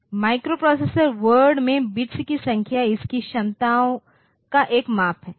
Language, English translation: Hindi, The number of bits in a microprocessor word is a measure of its abilities